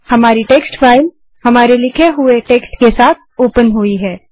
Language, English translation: Hindi, our text file is opened with our written text